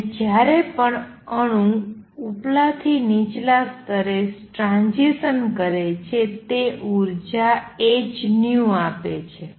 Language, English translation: Gujarati, And each one every time an atom makes a transition from upper to lower level it gives out energy h nu